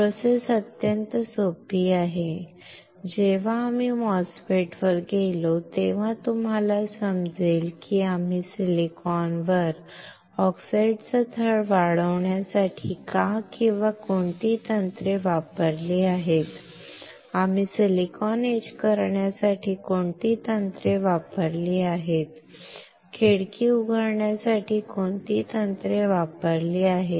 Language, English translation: Marathi, The process is extremely simple, when we go to the MOSFET then you will understand why or which techniques we have used to grow the oxide layer on silicon, which techniques we have used to etch the silicon, which techniques we have used to open the window, right